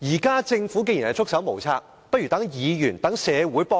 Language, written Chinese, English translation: Cantonese, 既然政府現在"束手無策"，不如讓議員和社會協助政府。, Now that the Governments hands are tied let us legislators and the public help the Government